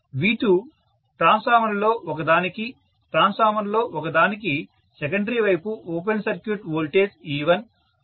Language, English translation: Telugu, V2, for one of the transformer, the secondary side open circuit voltage for one of the transformers is E1